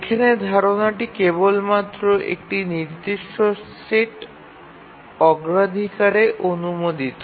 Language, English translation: Bengali, The idea here is that we allow only a fixed set of priority